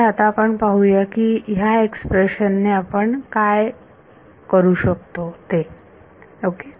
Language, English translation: Marathi, So, let us see now, what we can do with this expression ok